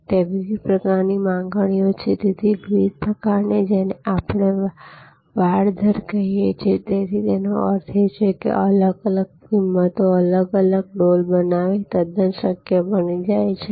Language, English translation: Gujarati, There are different types of demands and therefore, different types of what we call rate fencing; that means, creating different buckets at different prices become quite feasible